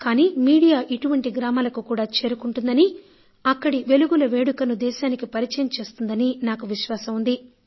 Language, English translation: Telugu, But I am sure that media will definitely reach such villages and will inform the nation about the happiness and excitement of the people there